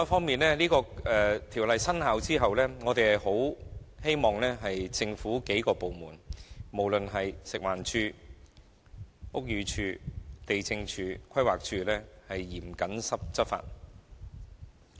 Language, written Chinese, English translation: Cantonese, 此外，在《條例草案》生效後，我們希望多個政府部門，包括食環署、屋宇署、地政總署及規劃署均能嚴謹執法。, Furthermore after the Bill comes into operation we hope that a number of government departments including FEHD Buildings Department LandsD and PlanD will strictly enforce the law